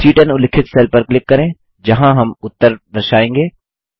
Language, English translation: Hindi, Lets click on the cell referenced as C10 where we will be displaying the result